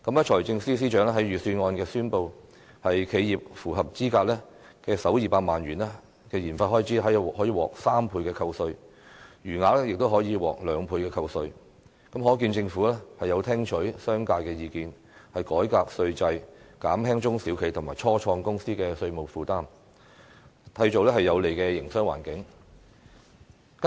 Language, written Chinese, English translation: Cantonese, 財政司司長在預算案中宣布，企業符合資格的首200萬元研發開支可獲3倍扣稅，餘額亦可以獲兩倍扣稅，可見政府聽取了商界的意見，改革稅制，減輕中小企和初創公司的稅務負擔，締造有利的營商環境。, The Financial Secretary announced in the Budget that the first 2 million eligible research and development expenditure of an enterprise can enjoy a 300 % tax deduction and the remainder a 200 % tax deduction . It is thus clear that the Government has listened to the commercial sector and embarked on reforming the tax system to reduce tax burden on small and medium enterprises and start - up businesses and create a favourable business environment